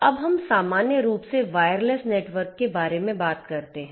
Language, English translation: Hindi, Now, when we talk about you know wire less networks in general